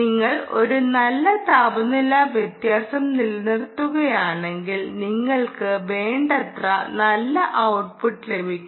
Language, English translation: Malayalam, if you maintain a good temperature differential ah, you will actually get sufficiently good power output